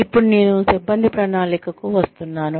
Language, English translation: Telugu, Now, I am coming to personnel planning